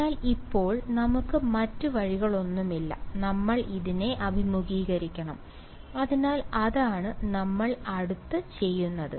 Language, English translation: Malayalam, So, now, we have no choice now we must face this right, so that is what we do next